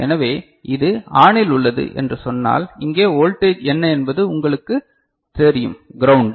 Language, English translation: Tamil, So, if say, this is ON then what is the voltage over here this is you know ground